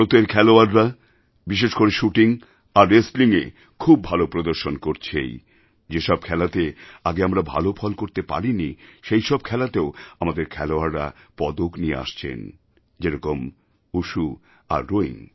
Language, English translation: Bengali, Indian players are performing exceedingly well in shooting and wrestling but our players are winning medals in those competitions too, in which our performance has not been so good earlierlike WUSHU and ROWING